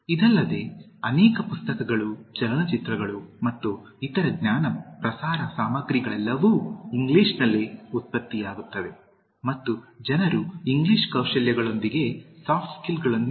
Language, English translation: Kannada, Besides, many books, films and other knowledge disseminating materials, are all produced in English and people invariably identify Soft Skills with English Skills